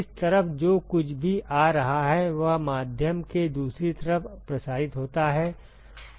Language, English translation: Hindi, Whatever is coming in this side is transmitted to the other side of the medium